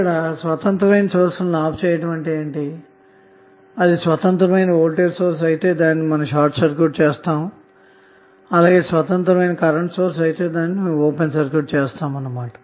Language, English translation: Telugu, Switching off the independent source means, if you have independent voltage source you will short circuit and if you have an independent current source you will open circuit